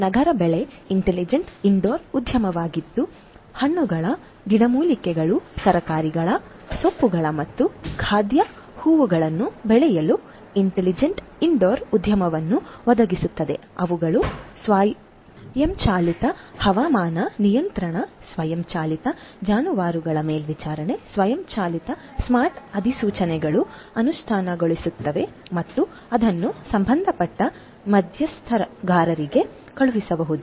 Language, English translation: Kannada, CityCrop is an intelligent indoor garden that provides intelligent indoor garden to grow fruits, herbs, vegetables, greens and edible flowers, they have implementation of automated climate control, automated livestock, monitoring automated you know smart notifications which can be sent to the concerned stakeholders and also to the plant doctors automated notifications would be sent